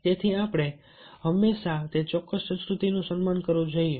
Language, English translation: Gujarati, so the we have to always honor and respect the culture of that particular place